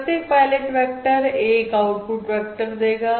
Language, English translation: Hindi, Each pilot vector results in an output vector or it